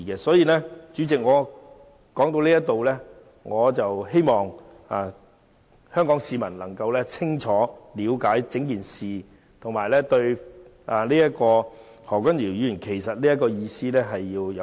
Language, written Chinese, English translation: Cantonese, 所以，主席，話說至此，我希望香港市民能夠清楚了解整件事，並且了解何君堯議員的意思。, So President that is all I want to say . I hope members of the public in Hong Kong can get the full picture clearly and understand what Dr Junius HO meant